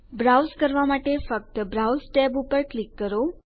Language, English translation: Gujarati, To browse, just click the browse tab